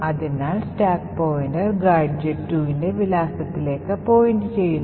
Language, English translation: Malayalam, Therefore, the stack pointer is pointing to the address gadget 2